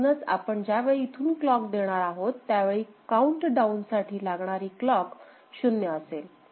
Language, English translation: Marathi, So, when we are giving the clock through this, then the countdown clock is 0 ok